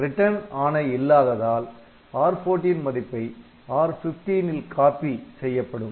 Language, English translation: Tamil, So, there is no return instruction so, you can just have this R14 copied back into R15